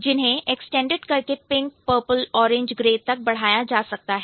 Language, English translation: Hindi, And it can get extended to pink, purple, orange and gray